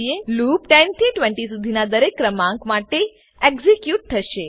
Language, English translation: Gujarati, The loop will execute for every number between 10 to 20